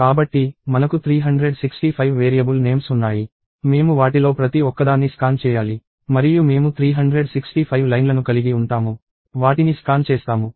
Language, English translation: Telugu, So, we have 365 variable names; we will have to scan each one of them; and we will have 365 lines in which we will scan them